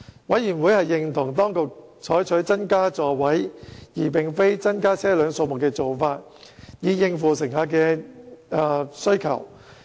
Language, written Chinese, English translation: Cantonese, 委員認同當局採取增加座位而非增加車輛數目的做法，以應付乘客需求。, Members approve of the Administrations approach to increase the number of seats instead of increasing the number of vehicles to meet passenger demand